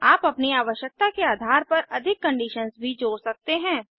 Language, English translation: Hindi, You can also add more conditions based on your requirement